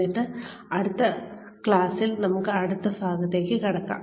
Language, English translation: Malayalam, And then, we will move on to the next part, in the next class